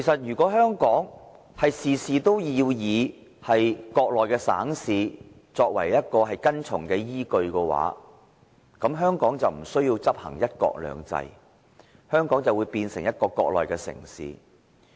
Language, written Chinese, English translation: Cantonese, 如果香港事事要以國內省市作為跟從的依據，那香港便無須執行"一國兩制"，香港便會變成一個國內的城市。, If every issue of Hong Kong is to be handled with reference to provinces and cities of the Mainland there is no need to implement one country two systems in Hong Kong and Hong Kong will become one of the cities of the Mainland